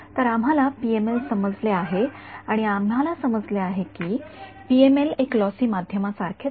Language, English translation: Marathi, So, we have understood PML and we have understood that the PML is the same as a lossy media